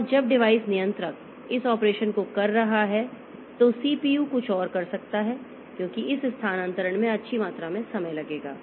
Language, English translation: Hindi, And while the device controller is performing this operation, the CPU can do something else because this transfer will take a good amount of time because this disk that we are having